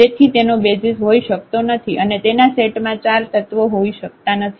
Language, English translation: Gujarati, So, this cannot have the basis cannot have 4 elements in its set ok